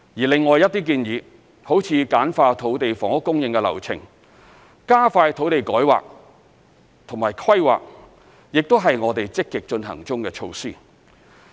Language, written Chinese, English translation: Cantonese, 另外一些建議，如簡化土地房屋供應的流程、加快土地改劃及規劃，亦是我們積極進行中的措施。, Other suggestions such as streamlining the process of land and housing supply and shortening the time for land rezoning and planning are also measures being actively taken forward